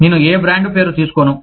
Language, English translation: Telugu, I will not take, the name of any brand